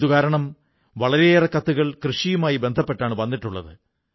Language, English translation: Malayalam, That is why a large number of letters on agriculture have been received